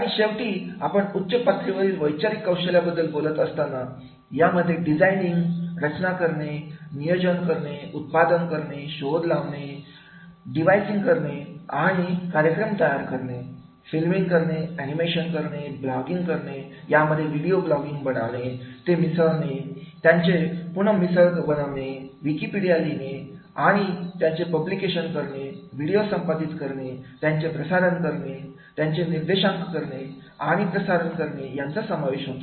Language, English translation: Marathi, And finally, when we talk about the higher order thinking’s skills, so this will go further designing, constructing, planning, producing, inventing, devising, and making programming, filming, animating, blogging, video blogging, mixing, remixing, wiki ing, publishing, video casting then the podcasting, directing and the broadcasting